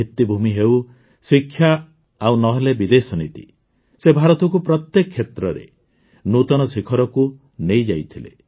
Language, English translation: Odia, Be it infrastructure, education or foreign policy, he strove to take India to new heights in every field